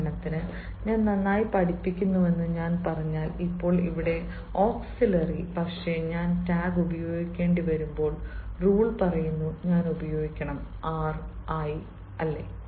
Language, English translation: Malayalam, for example, if i say i am teaching well now, here the auxiliary is m, but when i have to use tag, the rule says i have to use arent i